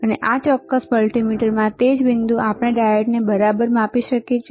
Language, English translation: Gujarati, And in this particular multimeter, same point we can measure diode all right